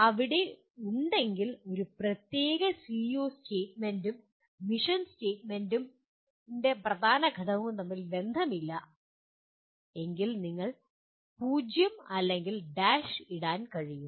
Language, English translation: Malayalam, If there is no correlation between a particular PEO statement and the key element of the mission statement you can put a 0 or a dash